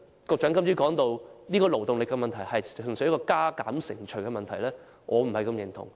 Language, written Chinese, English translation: Cantonese, 局長今早提到勞動力問題純粹是加減乘除的問題，我對此不太認同。, This morning the Secretary mentioned that labour force issues boil down purely to an arithmetic problem with which I do not entirely agree